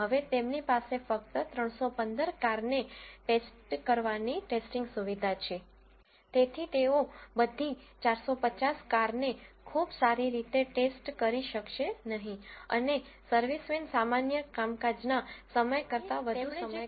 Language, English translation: Gujarati, Now, since they have the testing facility for testing only 315 cars, they will not be able to check all the 450 cars very thoroughly and the servicemen will not work longer than the normal working hours